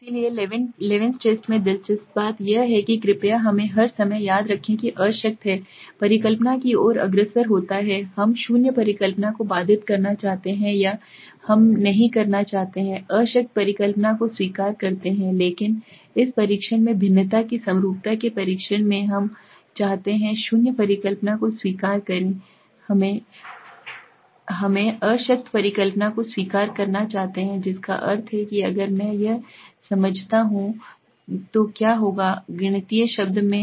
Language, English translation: Hindi, So in levens test the interesting thing is please remember this all the time we say that the null hypothesis leads to be disproved we want to disprove the null hypothesis or we do not want to accept the null hypothesis but in this test in the test of homogeneity of variances we want to accept the null hypothesis we want to accept the null hypothesis that means what if I explain this in mathematical term